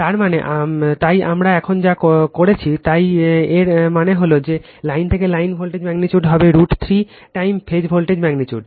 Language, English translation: Bengali, That means, so whatever we did just now so that means, that line to line voltage magnitude will be root 3 time phase voltage magnitude